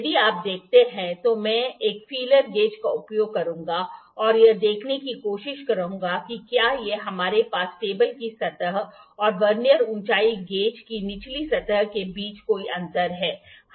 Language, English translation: Hindi, If you see, I will use a feeler gauge and try to see that do we have any gap between the table surface and the bottom surface of the Vernier height gauge